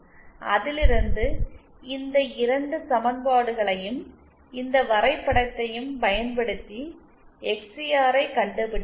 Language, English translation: Tamil, From that, we can find out XCR using these 2 equations and this plot